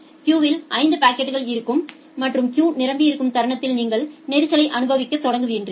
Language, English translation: Tamil, The moment there will be 5 packets in the queue and the queue become full, you will start experiencing congestion